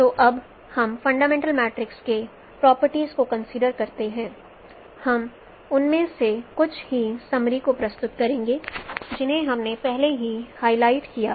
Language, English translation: Hindi, So now let us consider the properties of fundamental matrix we will be summarizing some of them we have already highlighted